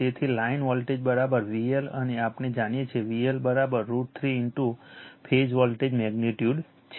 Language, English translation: Gujarati, So line voltage is equal to V L and we know V L is equal to root 3 in to phase voltage right magnitude